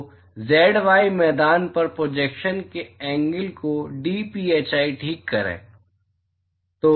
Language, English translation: Hindi, So, dphi the angle of the projection on the z y plain ok